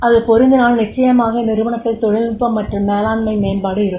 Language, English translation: Tamil, If that that is applicable, then definitely there will be technical and management development in the organization